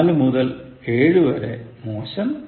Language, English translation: Malayalam, 4 to 7 is Poor